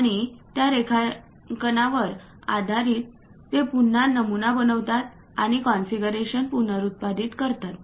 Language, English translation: Marathi, And based on those drawings, they repeat the pattern and reproduce the configurations